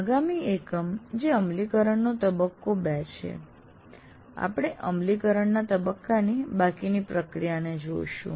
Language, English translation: Gujarati, And in the next unit, which is implementation phase two, we look at the remaining processes of implementation phase